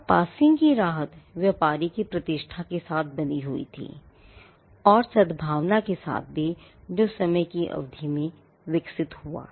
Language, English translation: Hindi, Now, the relief of passing off was tied to the reputation that, the trader had and to the goodwill that, the trader had evolved over a period of time